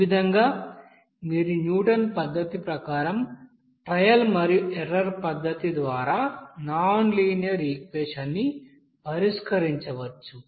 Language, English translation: Telugu, So in this way you can solve the nonlinear equation by trial and error method as per this you know Newton's method